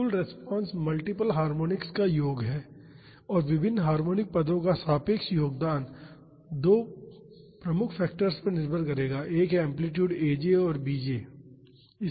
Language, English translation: Hindi, The total response is the sum of multiple harmonics and the relative contribution of various harmonic terms will depend upon 2 major factors one is the amplitudes aj and bj